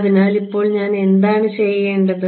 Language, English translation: Malayalam, So, now, what do I have to do